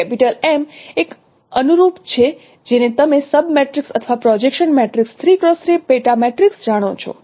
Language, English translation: Gujarati, M is a corresponding no sub matrix or projection matrix three cross the sub matrix